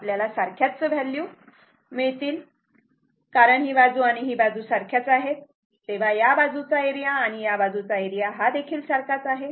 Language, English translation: Marathi, Also, you will get the same value because this side and this side left hand side and right hand side are the same this is and this is this one and this one this side area and this side area